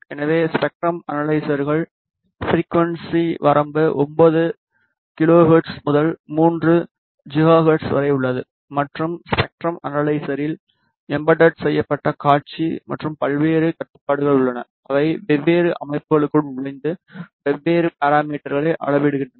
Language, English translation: Tamil, So, the spectrum analyzers frequency range is from 9 kilohertz to 3 gigahertz and as you can see the spectrum analyzer has an embedded display and various controls to enter different settings and measure different parameters